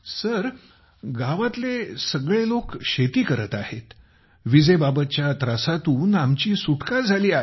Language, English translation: Marathi, Sir, the people of the whole village, they are into agriculture, so we have got rid of electricity hassles